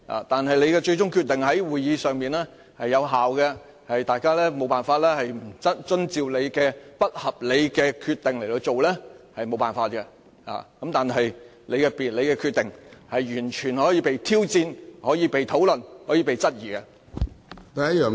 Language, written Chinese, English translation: Cantonese, 但你的最終決定在會議上是有效的，大家無法不遵照你的不合理決定，這也無可奈何。但是，你的決定完全可以被挑戰、被討論和被質疑的。, But the point I am driving at is that while your final decision shall remain in force at the meeting and Members must abide by your unreasonable decision and cannot do anything about it it is totally permissible to challenge discuss and question your decision